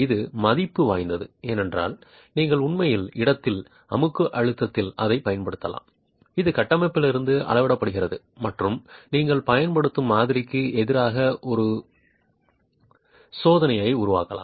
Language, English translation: Tamil, And this is of value because you can actually use that in situ compressive stress which is measured from the structure and make a check against the model that you are using